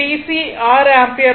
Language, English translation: Tamil, It will 6 ampere